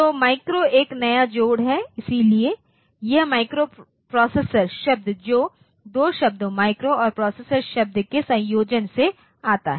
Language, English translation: Hindi, So, micro is a new addition, so this, the word microprocessor it comes from the combination of two words the word micro and the word processor